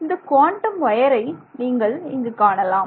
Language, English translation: Tamil, This is a quantum wire